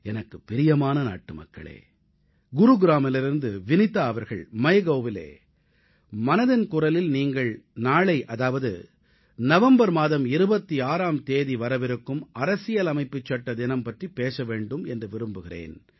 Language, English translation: Tamil, My dear countrymen, Vineeta ji from Gurugram has posted on MyGov that in Mann Ki Baat I should talk about the "Constitution Day" which falls on the26th November